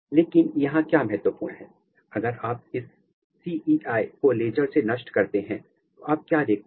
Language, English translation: Hindi, But, what is important here if you laser ablate this CEI what you see